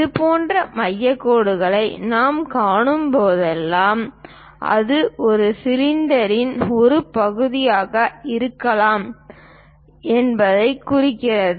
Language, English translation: Tamil, Whenever we see such kind of center lines, that indicates that perhaps it might be a part of cylinder